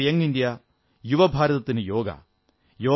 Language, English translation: Malayalam, Yoga for Young India